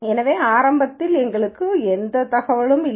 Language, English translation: Tamil, So, right at the beginning we have no information